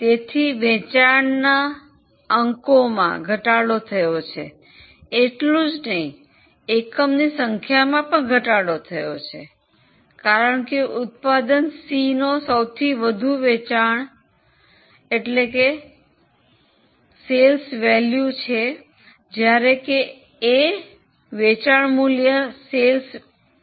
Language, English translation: Gujarati, So, not only units, even the amount of sales have fallen because you can see that C is actually a product having highest sales value, whereas A is having the lowest sales value